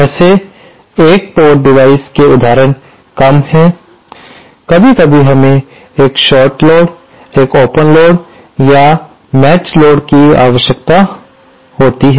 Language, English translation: Hindi, Some examples of such one port devices are shorts sometimes we need a shorted load or open load or a matched load